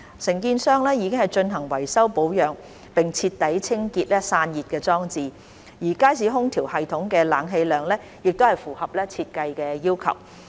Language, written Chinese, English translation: Cantonese, 承建商已進行維修保養並徹底清潔散熱裝置，而街市空調系統的冷氣量亦符合設計要求。, The contractor has carried out repair and maintenance work and cleaned the heat rejection units thoroughly . The level of air - conditioning meets the design requirement